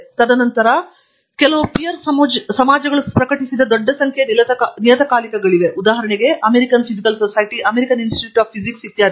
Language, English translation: Kannada, And then, there are a large number of journals that are published by societies: American Physical Society, American Institute of Physics, etcetera